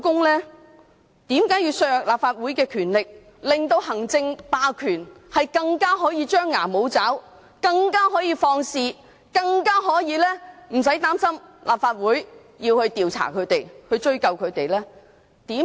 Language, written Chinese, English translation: Cantonese, 為何要削弱立法會的權力，令行政霸權可以更加張牙舞爪、可以更放肆、可以更不用擔心立法會調查、追究他們？, Why should the powers of the Legislative Council be weaken to enable the Government to exercise executive hegemony and become more ferocious and unrestrained without having to worry that the Legislative Council may conduct investigation and hold them accountable?